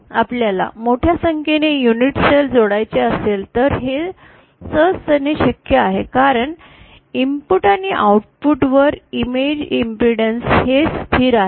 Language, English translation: Marathi, So if we want to just cascade large number of unit cells then it is very easily possible since the image impedance at the input and the output is constant